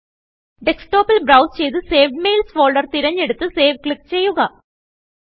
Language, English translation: Malayalam, Browse for Desktop and select the folder Saved Mails.Click Save